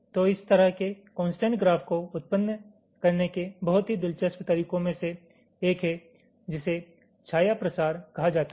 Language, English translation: Hindi, so one of the very ah interesting methods of generating the this kind of constraint graph is something called shadow propagation